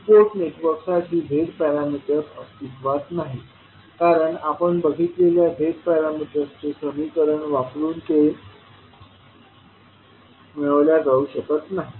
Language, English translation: Marathi, The Z parameters does not exist for some of the two port networks because they cannot be described by the Z parameter equations which we saw